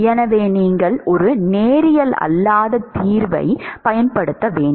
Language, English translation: Tamil, So, you have to use a non linear solver, which non linear solver